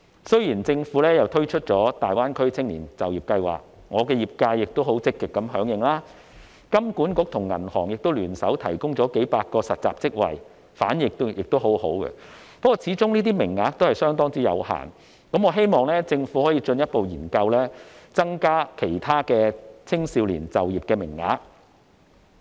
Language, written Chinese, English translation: Cantonese, 雖然政府已推出大灣區青年就業計劃，我的業界亦很積極響應，香港金融管理局和銀行亦聯手提供了數百個實習職位，反應亦很好，但這些名額始終相當有限，我希望政府可以進一步研究增加其他青少年的就業名額。, My sector has responded actively to the Greater Bay Area Youth Employment Scheme introduced by the Government and the Hong Kong Monetary Authority has joined hands with banks to offer hundreds of internship positions which were well - received . But the number of such positions is limited after all . I therefore hope that the Government can further study creating other employment opportunities for young people